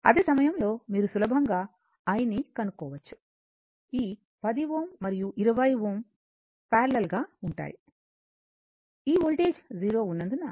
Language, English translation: Telugu, And at the same time, you can easily and as this 10 ohm and 20 ohm are in your what you call are in parallel right because this voltage is 0